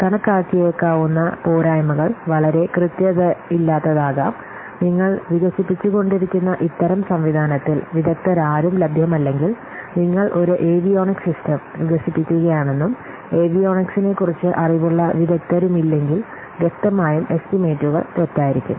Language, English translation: Malayalam, The disadvantage that very, it may, the estimate may be very inaccurate if there are no exports available in this kind of what system that you are developing suppose you are developing a avionic system and there is no expert who have knowledge who has knowledge on the avionics then obviously the estimates will be wrong